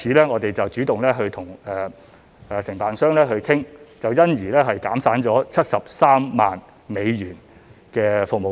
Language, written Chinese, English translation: Cantonese, 我們因而主動與承辦商商討，結果減省了73萬美元的服務費。, We therefore took the initiative to negotiate with the contractor which had resulted in a saving of US730,000 in service fees